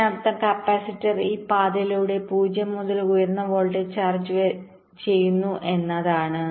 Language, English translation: Malayalam, this means the capacitor is charging from zero to high voltage via this path